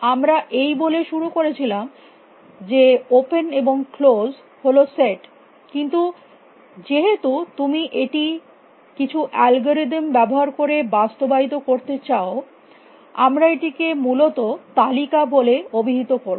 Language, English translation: Bengali, We started off by saying that open and close are sets, then because, you want to implement this using some algorithms we said let us call them list essentially